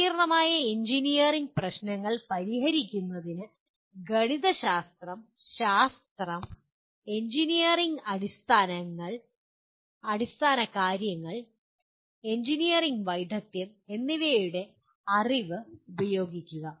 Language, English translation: Malayalam, I can say solve complex engineering problems applying the knowledge of mathematics, science, engineering fundamentals and an engineering specialization